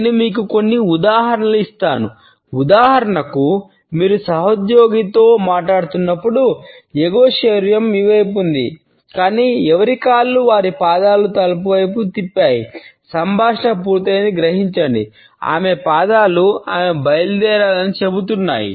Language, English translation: Telugu, Let me give you a couple of examples; if for instance you are talking to a co worker; whose upper body is faced toward you, but whose feet and legs have turned an angle toward the door; realize that conversation is over her feet are telling you she wants to leave